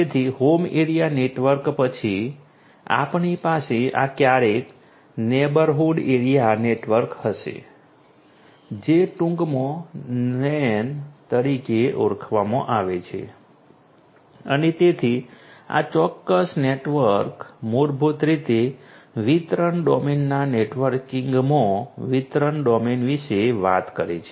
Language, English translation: Gujarati, So, home area network, after home area network we will have this never neighborhood area network in short it is also known as the NAN and so, this particular network basically talks about the distribution domain in the networking of the distribution domain